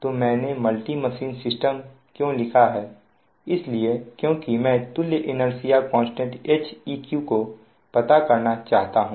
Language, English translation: Hindi, so why i have written: multi machine system means what we want to just find out the equivalent inertia constant, that h, h, e, q